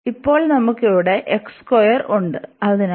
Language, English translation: Malayalam, So, now what do we have here